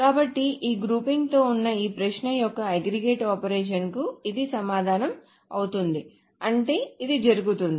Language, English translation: Telugu, So this is the answer to this query of the aggregate operation with this grouping